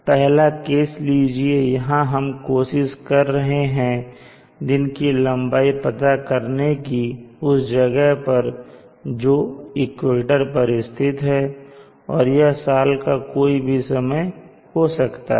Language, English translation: Hindi, Now let us take up case a, in case a here we are talking of trying to find the length of the day at a place located on the equator and it could be any time of the year